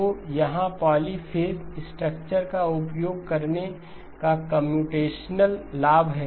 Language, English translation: Hindi, So here is the computational advantage, computational advantage of using the polyphase structure